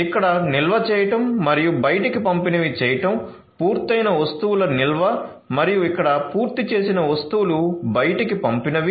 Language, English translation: Telugu, So, the stocking in and stocking out over here, stocking in of the finished goods and stocking out over here of the finished goods